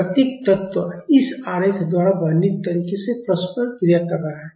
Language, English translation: Hindi, The each element is interacting in a way described by this diagram